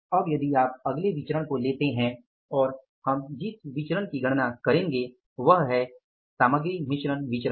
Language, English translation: Hindi, Now we will go for the next variance and we will calculate that variance which is called as material mix variance